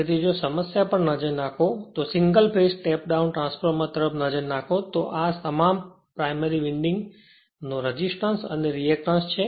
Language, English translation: Gujarati, So, if you look into the problem, if you look into the problem that a single phase step down transform this is the resistance and reactance of the primary winding all these given